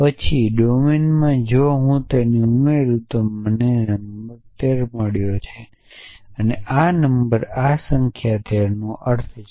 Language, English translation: Gujarati, Then in domine if I add it 7 and 6 I would have got the number 13 and this term essentially stands for this number 13